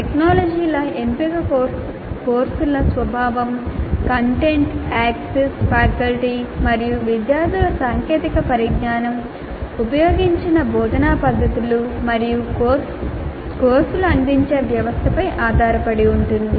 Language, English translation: Telugu, The choice of technologies depends on the nature of the courses, the content, the access, comfort levels of faculty and students with the technology, instructional methods used, and system under which the courses are offered